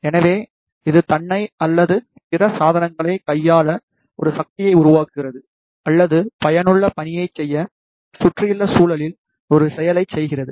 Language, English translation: Tamil, So, it creates a force to manipulate itself or other devices or perform an action on the surrounding environment to do the useful task